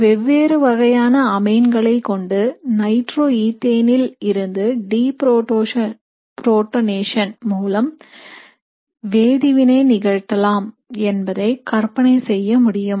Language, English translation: Tamil, So you can imagine using different amines and deprotonating nitroethane and you can do the reaction